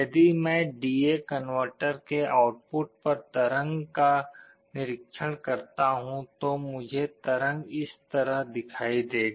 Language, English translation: Hindi, If I observe the waveform at the output of the D/A converter, I will see a waveform like this